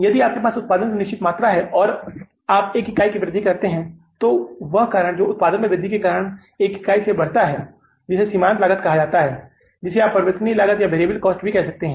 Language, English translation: Hindi, If you have the certain amount of the production and you increase it by one unit, then that cost which increases because of increase in the production by one unit, that is called as the marginal cost in a way you call it as the variable cost